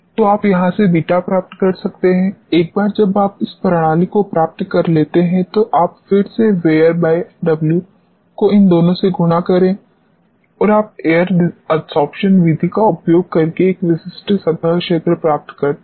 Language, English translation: Hindi, So, you can obtain beta from here, once you obtain the system you conduct this test again get V air upon W multiply these two and you get a specific surface area by using air adsorption method